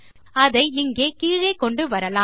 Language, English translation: Tamil, We can bring it down here